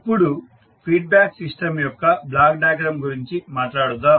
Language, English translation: Telugu, Now, let us talk about the block diagram of the feedback system